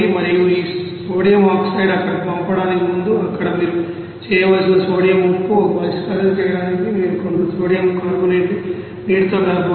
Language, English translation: Telugu, And before doing sending these you know sodium oxide there, sodium salt there what you have to do, you have to you know mixed with some sodium carbonate with water to make a solution